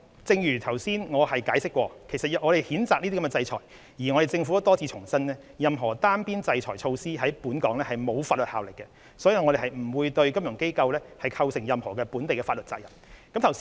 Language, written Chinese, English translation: Cantonese, 正如我剛才解釋，我們譴責這些制裁，而政府亦多次重申，任何單邊制裁措施在本港並沒有法律效力，所以不會對金融機構構成任何本地法律責任。, As I have explained earlier we condemned the sanctions and the Government has reiterated many times that sanctions unilaterally imposed do not have any legal status in Hong Kong thus they will not create any legal obligations on financial institutions operating in Hong Kong . Dr HO has asked for specific examples